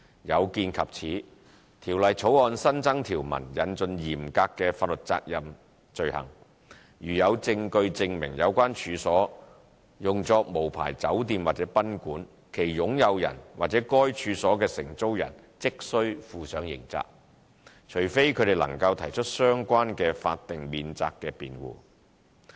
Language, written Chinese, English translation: Cantonese, 有見及此，《條例草案》新增條文引進嚴格法律責任罪行。如果有證據證明有關處所用作無牌酒店或賓館，其擁有人和該處所的承租人即須負上刑責，除非他們能提出相關的法定免責辯護。, To address the above problems the Bill adds new provisions by introducing strict liability offence on the owners and tenants of the premises concerned if there is evidence to prove that the premises concerned are used as an unlicensed hotel or guesthouse unless they can establish a statutory defence